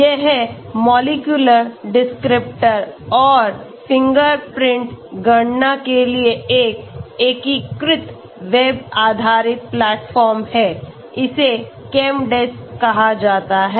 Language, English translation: Hindi, This is an integrated web based platform for molecular descriptor and fingerprint computation is called ChemDes